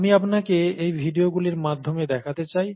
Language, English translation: Bengali, I would like you to look through these videos